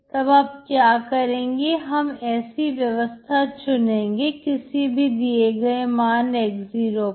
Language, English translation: Hindi, So what you do is, you consider the system, at those x0 values